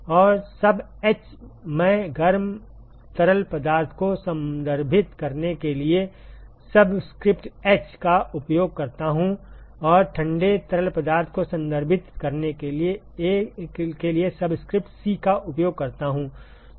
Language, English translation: Hindi, And the sub h … I use subscript h to refer to hot fluid and subscript c to refer to cold fluid